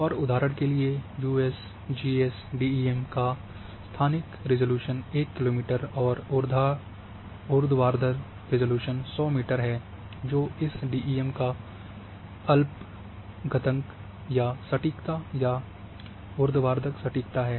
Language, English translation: Hindi, And like spatial resolutions of this one having 1 kilometre say example USGS DEM whereas for the vertical resolution the USGS DEM having the 100 meter that is the least count or accuracy or vertical accuracy of DEM